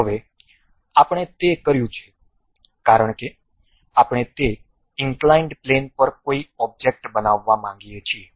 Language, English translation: Gujarati, Now, what we have done is, because we would like to construct an object on that inclined plane